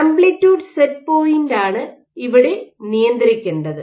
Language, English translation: Malayalam, And what you control is the amplitude set point